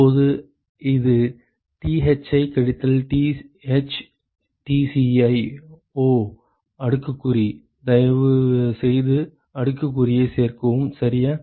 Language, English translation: Tamil, Now, this is Thi minus Th Tci; oh exponential, please add an exponential ok